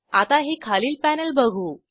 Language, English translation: Marathi, Now lets move to the panel below